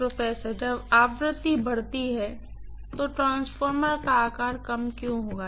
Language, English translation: Hindi, When the frequency increases why would the size of the transformer decrease